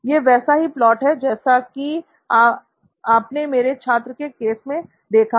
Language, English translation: Hindi, This is the similar plot that you saw with my student case